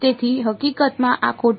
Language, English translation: Gujarati, So, in fact, this is wrong